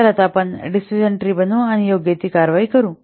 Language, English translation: Marathi, So now we have to construct the decision tree and take the appropriate action